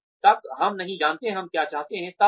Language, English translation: Hindi, Unless, we know, what we want